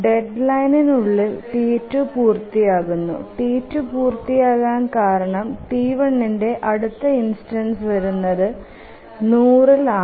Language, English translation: Malayalam, So well within the deadline T2 completes because the next instance of T1 will occur only at 100